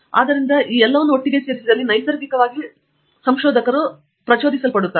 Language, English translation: Kannada, So, naturally if you put all these things together, researchers are intrinsically motivated